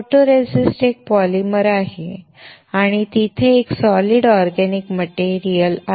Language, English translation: Marathi, Photoresist is a polymer and is a solid organic material